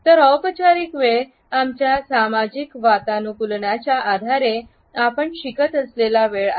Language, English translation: Marathi, So, formal time is the time which we learn on the basis of our social conditioning